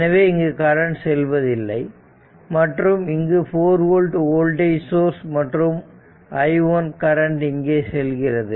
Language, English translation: Tamil, So, that is why it is 4 volt and some current i1 is flowing here right